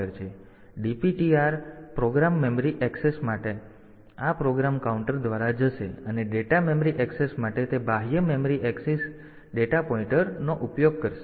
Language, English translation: Gujarati, So, DPTR so for program memory axis, it will go via this program counter and for data memory access it will go by this data pointer for a for the external memory axis